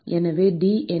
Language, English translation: Tamil, So, T is